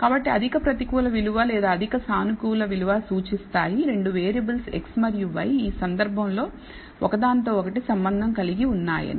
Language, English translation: Telugu, So, the high negative value or high positive value indicates that the 2 variables x and y in this case are associated with each other